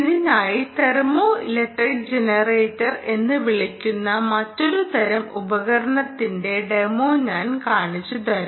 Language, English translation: Malayalam, for this, let me show you ah demonstration of a another kind of device, which essentially is called the thermoelectric generator